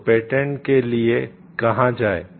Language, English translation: Hindi, So, where to go for look for patent